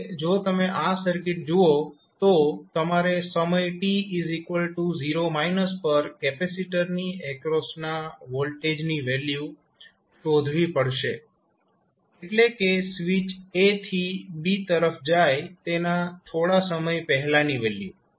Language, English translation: Gujarati, Now, if you see this particular circuit, the value which you need to first find out is what is the value of the voltage across capacitor at time is equal to 0 minus means just before the switch was thrown from a to b